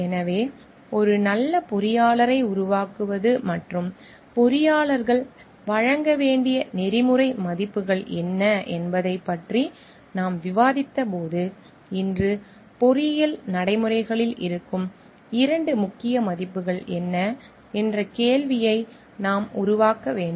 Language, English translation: Tamil, So, when we have discussed about the what makes a good engineer and what are the ethical values that the engineers should be providing, now we have to like develop on the question what are the two key values that lie in engineering practices today